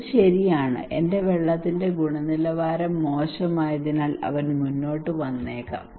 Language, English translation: Malayalam, That okay, my water quality is also bad so he may come forward